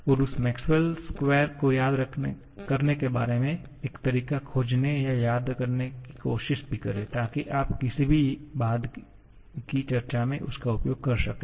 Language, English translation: Hindi, And also try to remember or try to find a way about remembering that Maxwell square, so that you can make use of that in any subsequent discussion